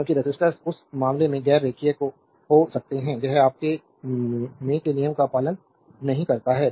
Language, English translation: Hindi, Because resistors may be non linear in that case, it does not obey the your Ohm’s law